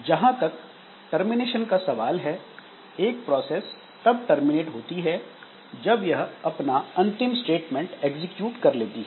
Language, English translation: Hindi, Now, as far as termination is concerned, a process terminates when it finishes executing its final statement